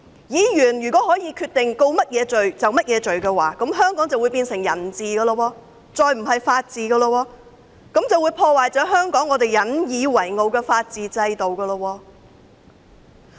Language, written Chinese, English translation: Cantonese, 如果議員可以決定控告他們甚麼罪，香港便會變成人治社會，不再是法治社會，更會破壞香港引以為傲的法治制度。, If Members can determine the charges against these people Hong Kong will be upholding the rule of man but not the rule of law and this will undermine the rule of law system that Hong Kong has always taken pride in